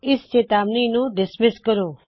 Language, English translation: Punjabi, Let us dismiss this warning